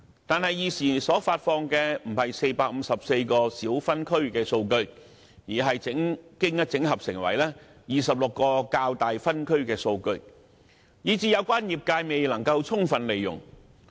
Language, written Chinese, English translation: Cantonese, 但是，現時所發放的，不是454個小分區的數據，而是經整合成為26個較大分區的數據，以致有關業界未能充分利用。, However it currently releases the aggregated data of 26 larger districts rather than the data of 454 small districts rendering the relevant sectors unable to make full use of such data